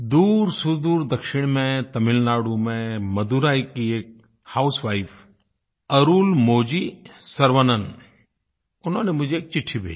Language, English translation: Hindi, From the far south, in Madurai, Tamil Nadu, Arulmozhi Sarvanan, a housewife, sent me a letter